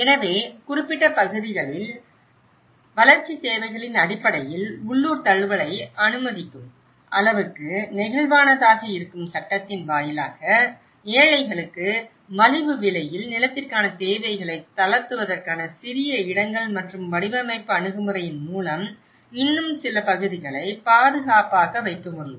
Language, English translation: Tamil, So, the legislation which could be flexible enough to allow for local adaptation based on the development needs in specific areas, smaller plots for relaxation of requirements for more affordable land for the poor and possible to make some more areas safe through design approach